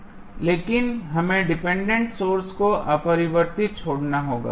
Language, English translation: Hindi, But, we have to leave the dependent sources unchanged